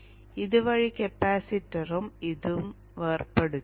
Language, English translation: Malayalam, Now this way the capacitor and this are decoupled